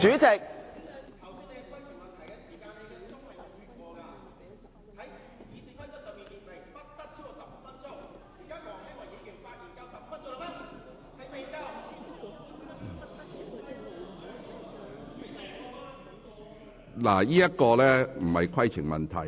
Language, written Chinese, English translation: Cantonese, 這並不是規程問題。, What you have raised is not a point of order